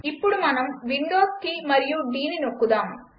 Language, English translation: Telugu, Let us now press Windows key and D